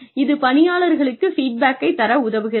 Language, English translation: Tamil, It can help to give feedback to people